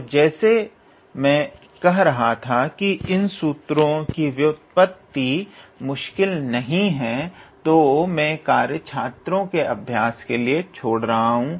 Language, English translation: Hindi, And as I was talking the derivation of these formulas are not difficult, so I will leave those task to the students for practice